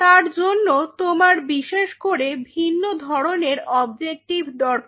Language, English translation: Bengali, For that you have a specifically different objective